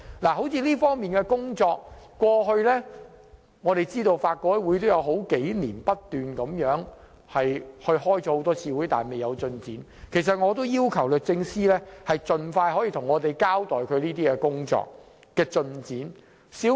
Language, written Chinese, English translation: Cantonese, 以這方面的工作為例，我們知道法改會過去數年不斷討論，但一直未有進展，我要求律政司司長盡快向我們交代相關工作進展。, Regarding the work in this respect we know that the Law Reform Commission has been holding discussions for years but little progress has been made . I request the Secretary for Justice to tell us the progress of this work as soon as possible